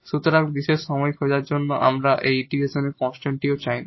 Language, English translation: Bengali, So, while finding the particular solution, we do not want this constant of integration also